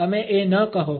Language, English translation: Gujarati, Did not say that